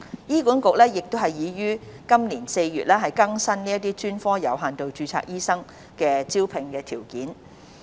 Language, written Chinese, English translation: Cantonese, 醫管局已於今年4月更新這些專科的有限度註冊醫生招聘條件。, HA has updated the recruitment requirements for non - locally trained doctors with limited registration in these specialties since April this year